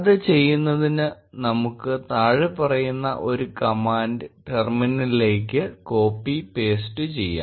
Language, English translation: Malayalam, To do that let us copy paste this following command into a terminal